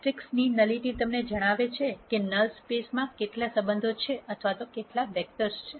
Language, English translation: Gujarati, The Nullity of the matrix tells you how many relationships are there or how many vectors are there in the null space